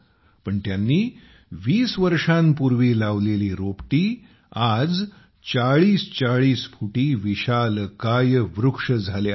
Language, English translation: Marathi, But these saplings that were planted 20 years ago have grown into 40 feet tall huge trees